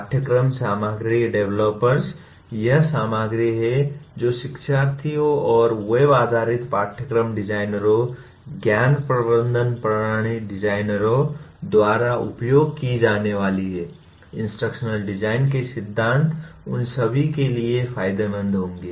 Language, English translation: Hindi, Curriculum material developers, that is the material that is going to be used by the learners and web based course designers, knowledge management system designers, these principles of instructional design would be beneficial to all of them